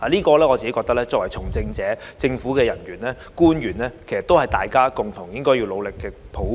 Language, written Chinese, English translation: Cantonese, 我認為，這是從政者、政府人員和官員應共同努力達成的抱負。, I think this is an aspiration for which everyone engaging in politics civil servants and government officials should strive together